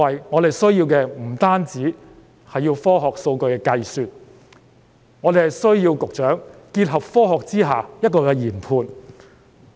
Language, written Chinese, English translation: Cantonese, 我們需要的，不單是科學及數據的計算，更需要局長結合科學作出研判。, What we need is not just science and statistical calculations . We need the Secretaries to engage science to make their judgments about the situation